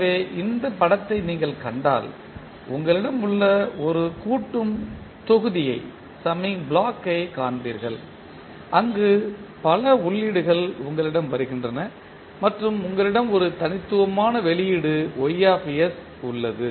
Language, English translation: Tamil, So, if you see this particular figure you will see one summing block you have where you have multiple inputs coming and then you have one unique output that is Ys